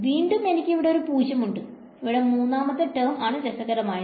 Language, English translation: Malayalam, Again I have a 0, third term is interesting term